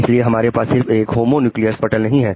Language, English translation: Hindi, So we don't have a homunculus one screen